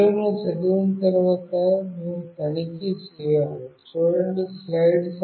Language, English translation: Telugu, After reading the values, we need to check